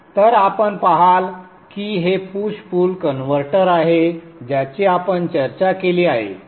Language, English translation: Marathi, So you see that this is the push pull converter that we have discussed